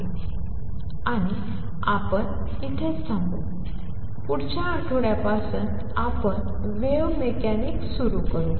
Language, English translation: Marathi, And we stop here on this, and next week onwards we start on wave mechanics